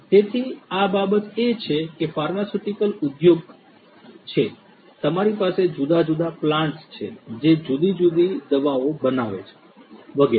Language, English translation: Gujarati, So, the thing is that there are in the pharmaceutical industry, you have different plants which are making different drugs and so on